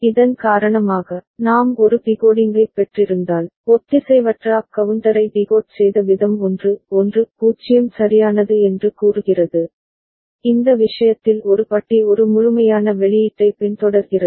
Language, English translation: Tamil, And because of which, because of which if we have got a decoding, the way we were decoding asynchronous up counter say 1 1 0 right and in this case so A bar is just following A the complemented output